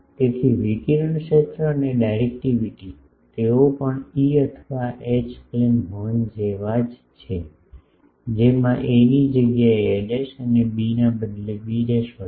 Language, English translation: Gujarati, So, the radiated field and directivity, they are also same as E or H plane horns with a replaced by a dash and b replaced by b dash